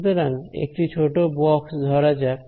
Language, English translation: Bengali, So, let us take a small box